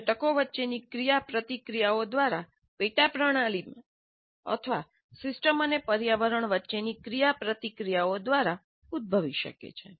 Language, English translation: Gujarati, They can arise either from interactions among the components systems themselves, subsystems themselves, or the interactions between the system and the environment